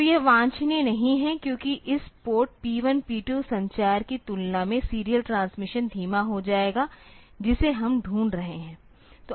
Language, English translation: Hindi, So, it is not desirable, because the serial transmission will be slower compared to this port P 1 P 2 communication that we are looking for